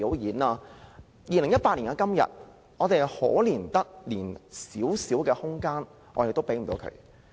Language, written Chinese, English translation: Cantonese, 到了2018年的今天，我們可憐得連少許空間也沒有。, But today in 2018 we are so pathetic that we hardly have any room for their development